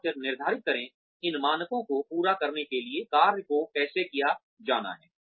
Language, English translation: Hindi, And then determine, how tasks are to be performed, to meet these standards